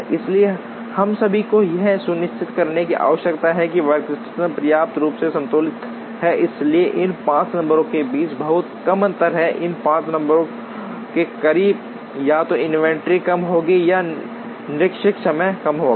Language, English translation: Hindi, So, we all need to ensure that the workstations are sufficiently balanced, so there is very little difference between these 5 numbers, the closer these 5 numbers are either inventory will be less or the idle time will be less